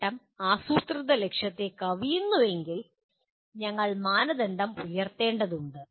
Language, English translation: Malayalam, If the achievement exceeds the planned target, we need to raise the bar